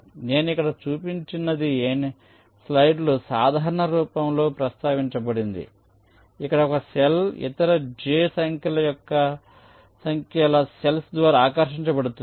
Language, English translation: Telugu, so this, exactly what i have shown here, is mentioned in the slide in a general form, where a cell is attracted by other j number of cells